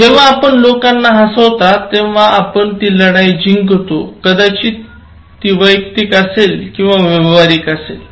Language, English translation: Marathi, When you make people laugh, you actually win the transaction whether it is personal or it is business